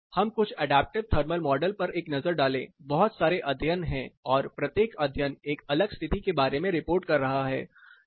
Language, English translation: Hindi, Let us take a look at some adaptive comfort models, there are lots of studies and each study is reporting about a different setup